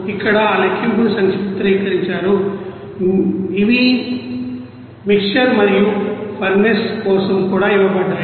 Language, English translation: Telugu, So, here just summarized that calculation, these are the things for mixer and furnace also it is given